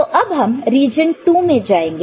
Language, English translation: Hindi, So, now, we go to region II